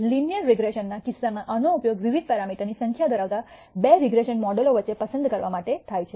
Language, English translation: Gujarati, In the case of linear regression this is used to choose between two regression models having different number of parameter